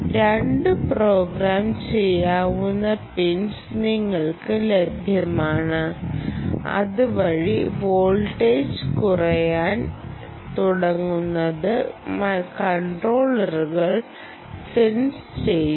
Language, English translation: Malayalam, two programmable pins are available to you, by which moment this voltage starts dropping, which is sensed by the microcontroller